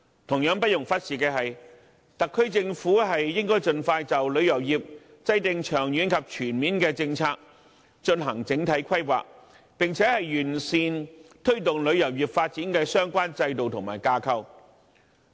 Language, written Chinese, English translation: Cantonese, 同樣不容忽視的是，特區政府應該盡快就旅遊業制訂長遠及全面的政策和進行整體規劃，並且完善推動旅遊業發展的相關制度和架構。, Notwithstanding the above it is equally important for the SAR Government to expeditiously formulate long - term and comprehensive policies as well as make overall planning for our tourism industry . Besides work should be done to improve the relevant system and framework so as to further promote tourism development in Hong Kong